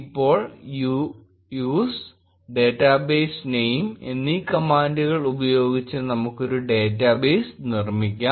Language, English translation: Malayalam, Now, let us create a database using the command use and the database name